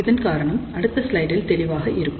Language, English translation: Tamil, The reason will be obvious from the next slide